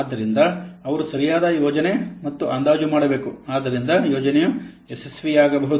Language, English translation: Kannada, So he has to do proper planning and estimation so that the project might get success